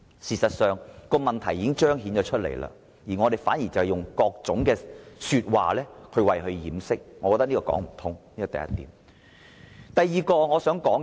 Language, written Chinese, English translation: Cantonese, 事實上，問題已經彰顯出來，如我們以各種理由掩飾，根本就是說不通的，這是第一點。, As a matter of fact the problem has been exposed and it is utterly inappropriate for us to cover it up with various excuses . This is the first point